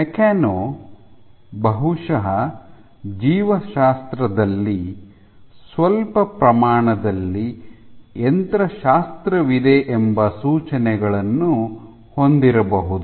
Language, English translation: Kannada, Mechano probably have indications that there is some amount of mechanics in biology